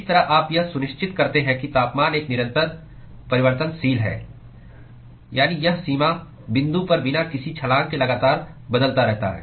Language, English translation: Hindi, That is how you ensure that the temperature is a continuous variable that is it changes continuously without any jump at the boundary point